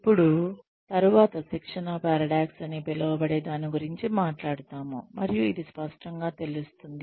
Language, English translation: Telugu, Now, we will talk about, something called as a training paradox later, and this will become clearer